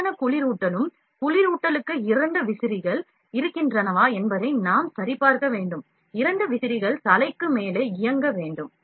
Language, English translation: Tamil, And proper cooling as well, for cooling we have to check that there are two fans, two fans are above just above the head that should be running